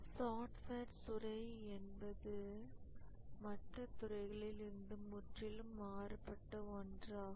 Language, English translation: Tamil, The software industry is very different from the other industries